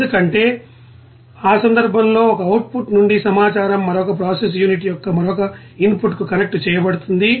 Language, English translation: Telugu, Because in that case the informations from one output will be you know connected to another input of another you know process unit